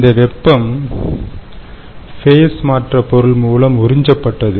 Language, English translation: Tamil, because part of the heat was absorbed by the phase change material